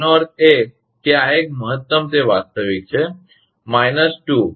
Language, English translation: Gujarati, That means, this one is equal to maximum of it is real, is coming minus 0